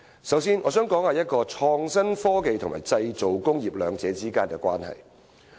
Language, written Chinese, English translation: Cantonese, 首先，我想談談創新科技與製造工業兩者之間的關係。, First of all I wish to talk about the relationship between innovation and technology IT and the manufacturing industry